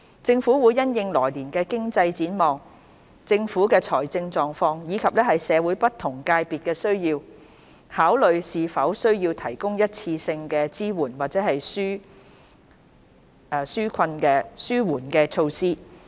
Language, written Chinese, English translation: Cantonese, 政府會因應來年的經濟展望、政府的財政狀況，以及社會不同界別的需要，考慮是否需要提供一次性的支援或紓緩措施。, The Government will consider whether there is a need to provide one - off support or relief measures having regard to the economic prospect of the coming year the Governments fiscal position and the needs of the various sectors in society